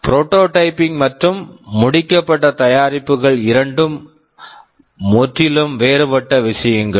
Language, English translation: Tamil, Well, prototyping and finished products are two entirely different things